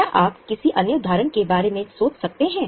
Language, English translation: Hindi, Can you think of any other example